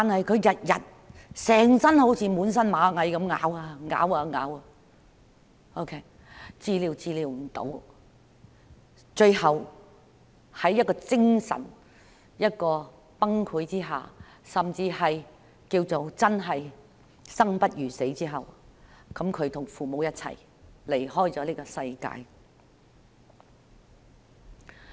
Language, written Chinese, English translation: Cantonese, 她每天就如全身被螞蟻咬噬，濕疹無法治癒，最後在精神崩潰，甚至可說是生不如死之下，與父母一起離開了這個世界。, However she felt like being bitten by ants all over her body every day . Her uncurable eczema caused her a mental breakdown . Preferring death to life she finally left this world with her parents